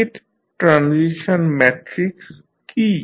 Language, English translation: Bengali, What is a State Transition Matrix